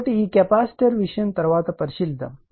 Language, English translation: Telugu, So, this capacitor thing will consider later